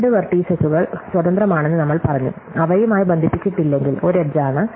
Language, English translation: Malayalam, So, we say that two vertices are independent; if they are not connected by it is an edge